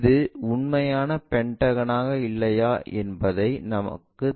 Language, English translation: Tamil, We do not know whether it is a true pentagon or not